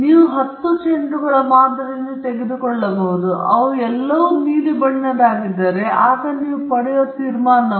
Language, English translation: Kannada, You may be taking a sample of 10 balls, and if all of them happened to be blue, then that is the conclusion you will get